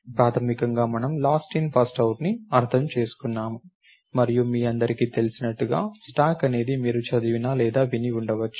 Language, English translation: Telugu, So, basically that is what we mean by last in first out and as you all know, a stack is something that is used which you might have either read about or heard about